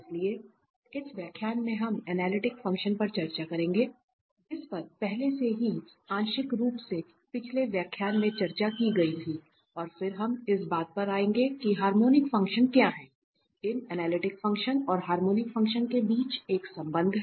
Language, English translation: Hindi, So, in this lecture, we will discuss analytic functions, which was already partly discussed in previous lecture and then we will come to what are the harmonic functions, there is a relation between these analytic functions and harmonic functions